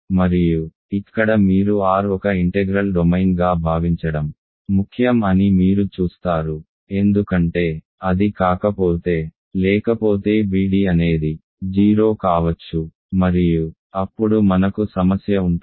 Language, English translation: Telugu, And here is where you see that it is important to assume R is an integral domain right, you see that because if it is not; otherwise bd can be zero and then we will have a problem